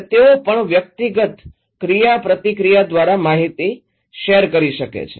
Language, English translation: Gujarati, And also maybe they can share the information through personal interactions